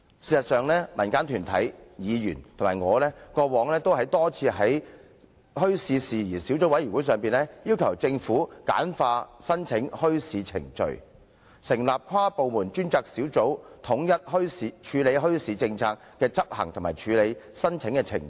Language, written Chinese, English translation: Cantonese, 事實上，民間團體、議員及我過往曾多次在墟市事宜小組委員會會議席上，要求政府簡化申辦墟市程序，以及成立跨部門專責小組，以統一墟市政策的執行及處理申請的程序。, In fact at the meetings of the Subcommittee community organizations other Members and I have repeatedly asked the Government to streamline the application procedures and set up an inter - departmental task force to standardize the implementation of the policy on bazaars and the processing of applications